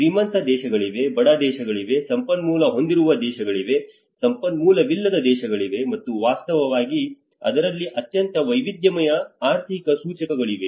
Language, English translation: Kannada, There are rich countries, there are poor countries, there are resourceful countries, the resourceless countries and that have actually as a very diverse economic indicators into it